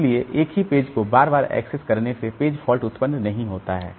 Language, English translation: Hindi, So, repeated access to the same page does not cause page fault